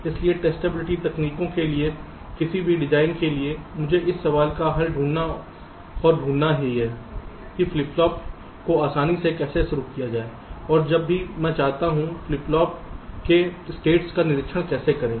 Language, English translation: Hindi, so for any design for testability technique i have to address and find the solution to this question: how to initialize the flip flop rather easily and how to observe the states of the flip flops whenever i want to